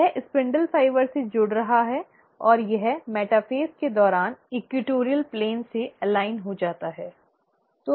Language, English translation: Hindi, It is attaching to the spindle fibre and it aligns to the equatorial plane during the metaphase